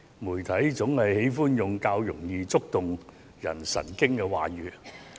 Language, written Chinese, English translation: Cantonese, 媒體總喜歡用上容易觸動別人神經的話語。, The media always have a liking for using sentimental words